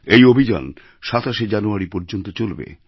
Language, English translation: Bengali, These campaigns will last till Jan 27th